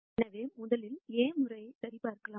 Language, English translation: Tamil, So, let us rst check A times nu1